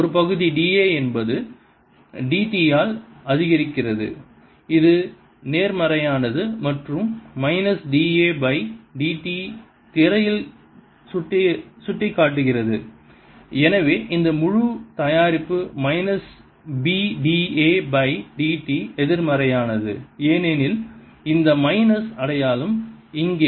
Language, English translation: Tamil, a area is increasing d a by d t is positive and minus d a by d t is pointing into the screen and therefore this entire product minus b d a by d t is negative because of this minus sign here